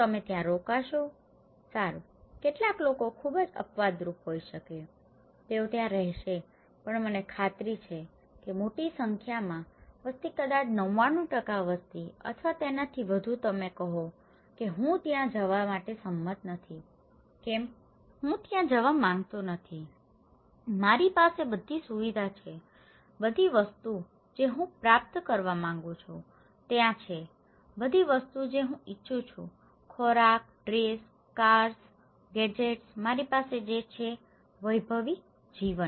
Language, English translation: Gujarati, And you will stay there; will you stay there; well, some people may be very exceptional, they will stay there but I am quite sure that large number of populations maybe 99% population or maybe more than that, you would say that I would not agree to go there, why; I do not want to go there, I have all the facilities, all the things I want to achieve there is there, all the things I want, all the foods, all the dress, all the cars, gadgets, all I have; luxury life